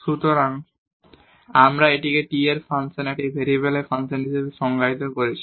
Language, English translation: Bengali, So, therefore, we have defined this as function of t, function of one variable